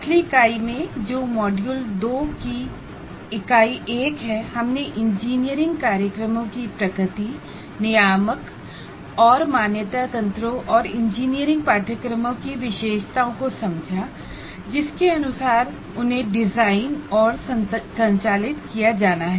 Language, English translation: Hindi, And in the earlier unit, that is unit one of module two, we understood the nature of engineering programs, regulatory and accreditation mechanisms as per which they have to be designed and conducted and features of engineering courses